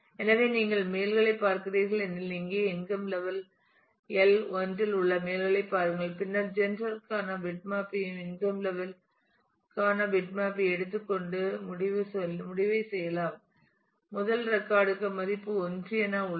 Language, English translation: Tamil, So, say if you are looking at males at for example, here males at income level L 1, then you can you can just take the bitmap for gender and bitmap for income level and do the ending and you get that the first record has value 1